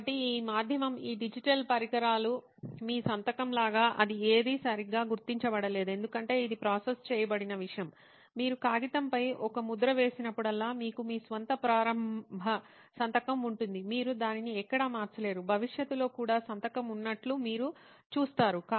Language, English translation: Telugu, so this medium this digital devices whichever whatever you said like your signature was not being recognised properly is because that is something that is processed, whenever you make an impression on the paper you will have your own initial signature you will not get it anywhere changed in the future as well, you see the signature it will be there as it is